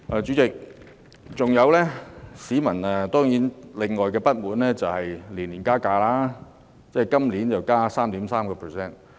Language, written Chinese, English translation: Cantonese, 主席，市民另外的不滿是港鐵年年加票價，今年又加 3.3%。, President another point with which members of the public are discontented is the increase in MTR fares year after year . This year there will be an increase of 3.3 %